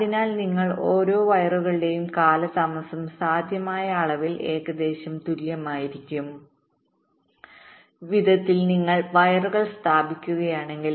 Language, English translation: Malayalam, so so if you lay out the wires in such a way that the delay on each of this wires will be approximately equal, to the extent possible, then you can achieve some kind of a symmetry